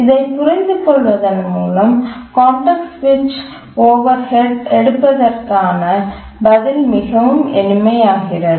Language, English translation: Tamil, And once we understand that then the answer about how to take context switch overheads becomes extremely simple